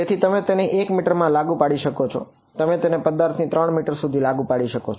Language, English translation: Gujarati, So, you can impose it at 1 meter, you can impose it at 3 meters from the object